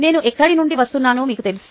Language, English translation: Telugu, ah, tell you where i am coming from